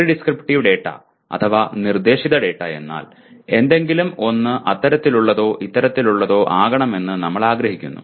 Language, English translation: Malayalam, Prescriptive data means we want something to be such and such